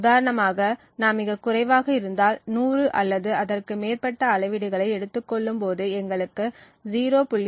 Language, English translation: Tamil, So, for example if we have very less let us say around 100 or so measurements, we have a correlation which is less than 0